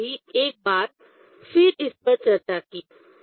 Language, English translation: Hindi, I just again discussed this one